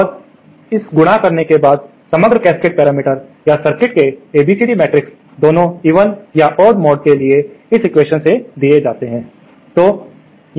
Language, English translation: Hindi, And after doing this multiplication, the overall S the overall cascade parameters or ABCD matrix of the circuit for both the even or odd mode is given by this equation